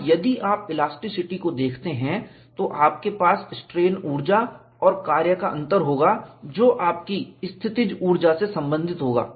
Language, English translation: Hindi, And if you look at elasticity, you will have strain energy minus work done would be related to a potential energy